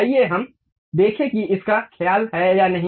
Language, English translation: Hindi, Let us see whether that really takes care of it or not